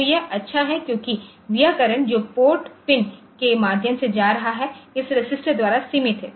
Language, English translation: Hindi, So, this is good because it will not the current that will be going through the port pin is limited by this resistance ok